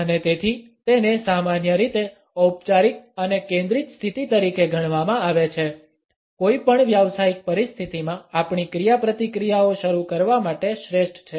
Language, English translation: Gujarati, And therefore, it is normally treated as a formal and focused position; the best one to initiate our interactions in any given professional situation